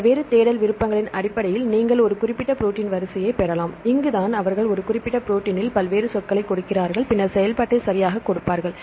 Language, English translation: Tamil, So, you can obtain a specific protein sequence based on various search options this is where they give various keywords in this a particular protein then give the function right